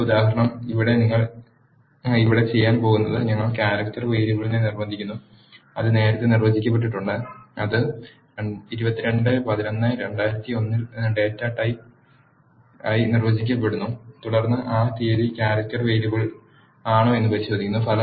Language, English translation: Malayalam, The next example, here what you are going to do here is we are coercing the character variable which is defined earlier that is 22 11 2001 as date and then you are checking whether that date is a character variable